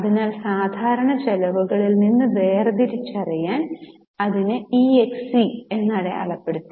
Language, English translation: Malayalam, So, I have marked it as EXC to differentiate it from normal expenses